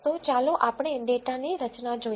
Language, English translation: Gujarati, So, let us look at the structure of the data